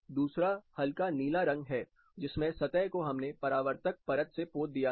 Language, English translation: Hindi, Number two, this light blue where we painted the surface with a reflective coating